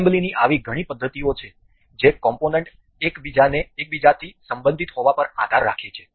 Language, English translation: Gujarati, There are multiple such methods of assembly that which depend on the component being related to one another